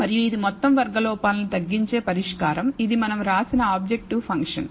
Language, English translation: Telugu, And this is the solution that minimizes the sum squared errors, this objective function that we have written